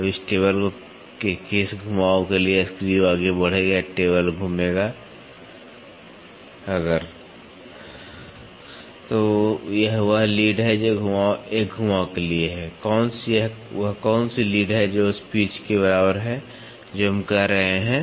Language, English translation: Hindi, Now for what rotation of this table will the screw advance or the table move if So, this is the lead what for one rotation, what is the lead it has equal to the pitch that is what we are saying